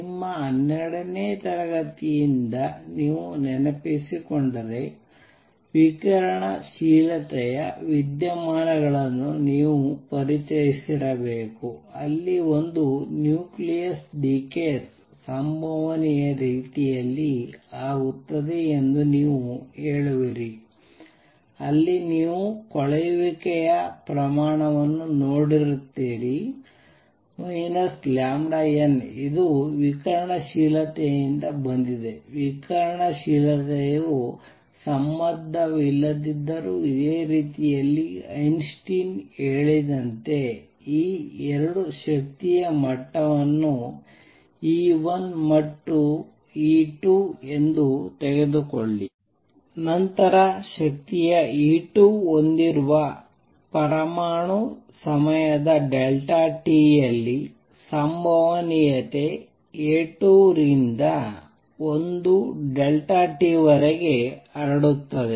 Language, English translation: Kannada, If you recall from your 12th grade you must have been introduced to the phenomena of radioactivity where we say that a nucleus decays in a probabilistic manner where you see that rate of decay is minus lambda N this is from radioactivity, radioactivity in a similar manner although unrelated what Einstein said is take these 2 energy levels E 1 and E 2 then an atom with energy E 2 will radiate with probability A 2 to 1 delta t in time delta t